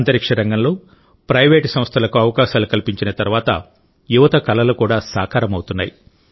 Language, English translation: Telugu, After space was opened to the private sector, these dreams of the youth are also coming true